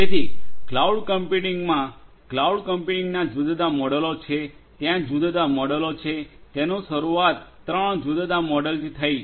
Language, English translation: Gujarati, So, cloud computing; there are different models of cloud, there are different; different models, it started with three different models